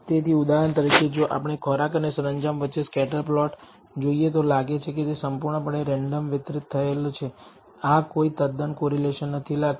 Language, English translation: Gujarati, So, for example, if we look at the scatter plot between food and decor it is seems to be completely randomly distributed this does not seem to be any quite correlation